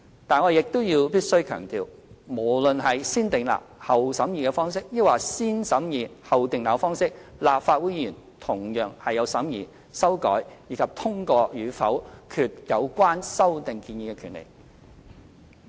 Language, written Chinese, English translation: Cantonese, 但是，我亦必須要強調，無論是"先訂立後審議"方式或"先審議後訂立"方式，立法會議員同樣有審議、修改，以及通過與否決有關修訂建議的權力。, However I must stress that no matter negative vetting or positive vetting is adopted Legislative Council Members have the power to scrutinize amend and vote in favour or against the proposed amendment